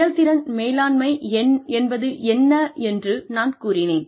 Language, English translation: Tamil, I told you, what performance management means